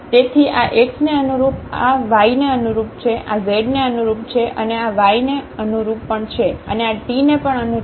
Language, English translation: Gujarati, So, corresponding to this x this is corresponding to y this is corresponding to z and this is corresponding to y and this is corresponding to t